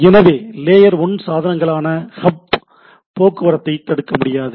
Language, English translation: Tamil, So, hubs are layer 1 devices, cannot filter traffic